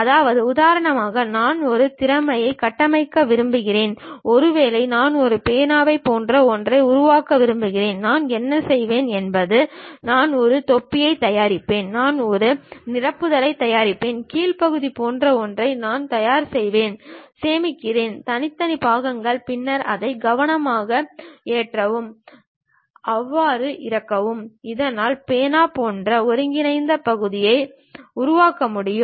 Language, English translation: Tamil, That means, for example, I want to construct a by skill, maybe I want to construct something like a pen, what I will do is I will prepare a cap, I will prepare a refill, I will prepare something like bottom portion, save individual parts, then carefully load it, tighten them, so that a combined part like a pen can be made